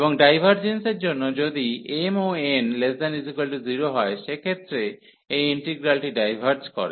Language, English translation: Bengali, And for the divergence, if m and n are both are less than equal to 0 in that case this integral diverges